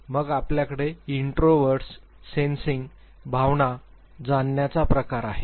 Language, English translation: Marathi, Then you have introverts, sensing, feeling, perceiving type